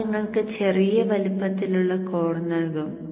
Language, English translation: Malayalam, That will give you the size of the core